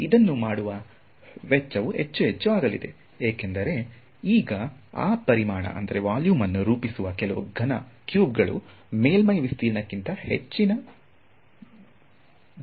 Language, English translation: Kannada, So, this the cost of doing this is going to become more and more, because now a little cubes that make up that volume are increasing at a much higher rate than the surface area right